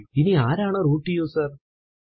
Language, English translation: Malayalam, Now who is a root user